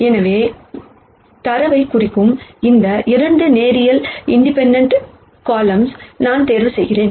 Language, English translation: Tamil, So, I pick any 2 linearly independent columns that represents this data